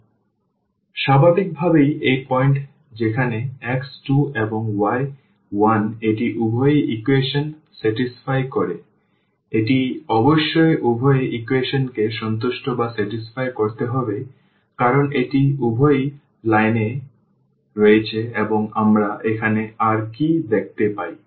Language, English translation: Bengali, So, naturally this point where x is 2 and y is 1 it satisfies both the equation; it must satisfy both the equations because, it lies on both lines and what else we see here